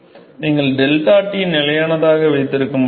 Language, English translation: Tamil, So, you cannot keep deltaT constant any more